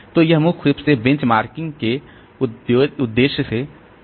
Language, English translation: Hindi, So, this is mainly for the benchmarking purpose